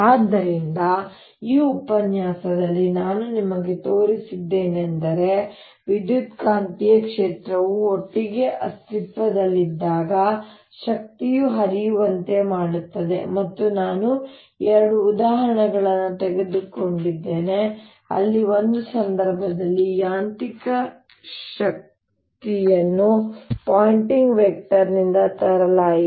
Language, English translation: Kannada, so what i have shown you in this lecture is that electromagnetic field, when they exist together, make an energy to flow, and i have taken two examples where in one case mechanical energy was brought in by the pointing vector